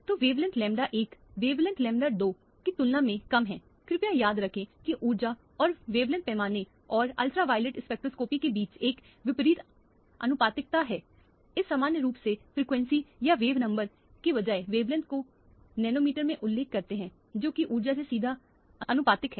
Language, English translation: Hindi, So, the wavelength lambda 1 is lower than the wavelength lambda 2 higher the energy please remember there is a inverse proportionality between the energy and the wavelength scale and ultraviolet spectroscopy we normally refer everything in the wavelength in nanometers rather than frequency or wave numbers which are directly proportional to the energy